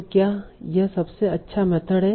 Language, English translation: Hindi, So is this the best method